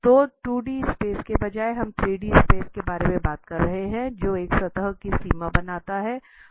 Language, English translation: Hindi, So instead of 2D space, we are talking about 3D space, which forms a boundary of a surface